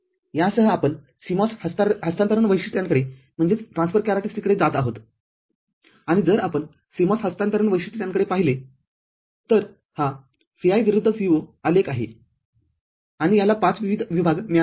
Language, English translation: Marathi, With this, we go to CMOS transfer characteristics and if we look at the CMOS transfer characteristics, this is the Vi versus Vo plot and it has got 5 distinct zones